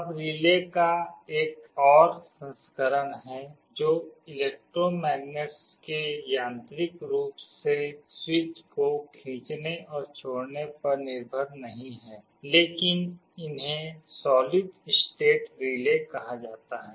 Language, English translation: Hindi, Now there is another version of a relay that is not based on electromagnets pulling and releasing the switches mechanically, but these are called solid state relays